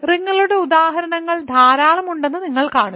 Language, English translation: Malayalam, So, that you see that there are lots of examples of rings